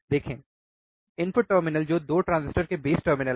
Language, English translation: Hindi, See, the input terminals which are the base terminals of 2 transistor